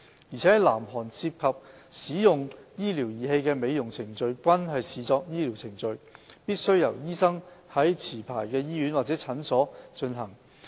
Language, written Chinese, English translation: Cantonese, 而在南韓涉及使用醫療儀器的美容程序均視作醫療程序，必須由醫生在持牌醫院或診療所進行。, Also medical devices used in beauty procedures are regarded as medical procedures in South Korea which must be carried out by medical practitioners in licensed hospitals or medical clinics